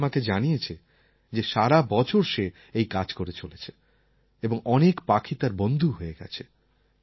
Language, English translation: Bengali, Abhi has told me that he has been doing this for a whole year and many birds have now become his friends